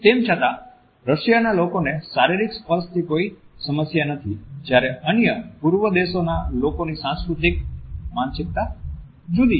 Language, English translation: Gujarati, However, where is in Russia people are comfortable as far as physical touch is concerned people of other far Eastern countries have a different cultural mindset